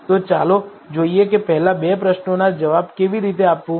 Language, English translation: Gujarati, So, let us look at how to answer the first two questions